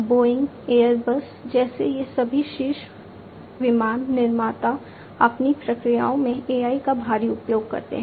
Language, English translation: Hindi, All these top you know aircraft manufacturers like Boeing, Airbus etcetera, they use AI heavily in their processes